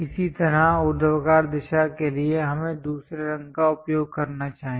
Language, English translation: Hindi, Similarly, for the vertical direction let us use other color